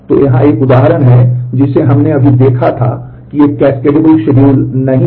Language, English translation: Hindi, So, here is an example which we had just seen which is not a cascadable schedule